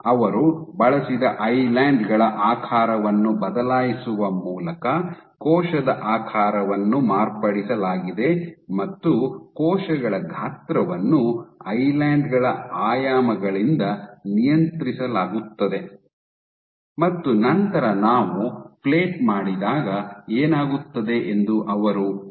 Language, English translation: Kannada, So, cell shape was changed modified by changing the shape of the islands that they used and cell size was controlled by the dimensions of the islands and then they asked that what happens when we plate